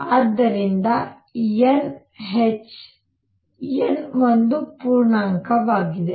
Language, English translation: Kannada, So, n h, where n is an integer